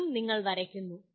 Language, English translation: Malayalam, This is also you are drawing